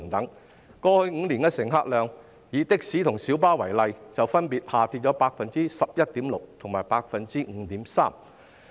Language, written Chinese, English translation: Cantonese, 它們在過去5年的乘客量，以的士及小巴為例，分別下跌了 11.6% 及 5.3%。, For example in the past five years the patronage of taxis and minibuses has dropped by 11.6 % and 5.3 % respectively